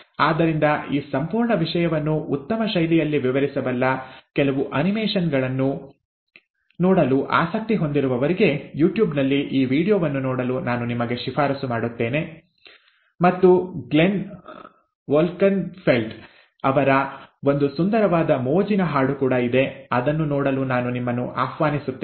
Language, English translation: Kannada, So if for those who are interested to see certain animations which can explain this whole thing in a better fashion, I would recommend you to go through this video on youtube, and there is also a very nice fun rap song by Glenn Wolkenfeld, I would invite you to see that as well